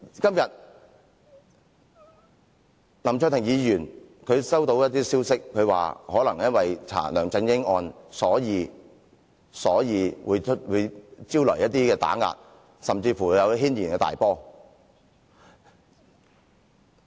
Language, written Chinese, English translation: Cantonese, 今天，林卓廷議員收到一些消息，指可能因為調查梁振英案件，所以會招徠一些打壓，甚至引起軒然大波。, Today Mr LAM Cheuk - ting received information saying that the investigation on the LEUNG Chun - ying case may be subject to some kind of pressure and may even lead to serious consequences